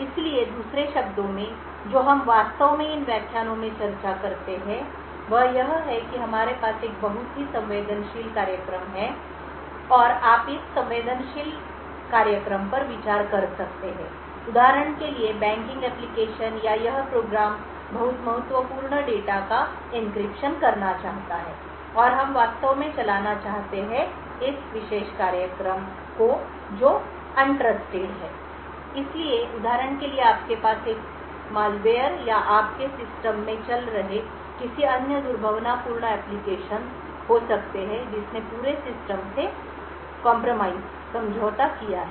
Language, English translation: Hindi, So, in other words what we actually discuss in these lectures is that we have a very sensitive program and you could consider this sensitive program for example say a banking application or this program wants to do encryption of very critical data and we want to actually run this particular program in an environment which is untrusted, So, for example you may have a malware or any other malicious applications running in your system which has compromise the entire system